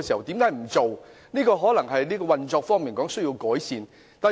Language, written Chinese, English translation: Cantonese, 當局可能需在運作上作出改善。, The Administration may need to make improvements in their operations